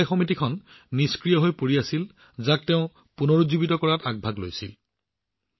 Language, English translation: Assamese, This cooperative organization was lying dormant, which he took up the challenge of reviving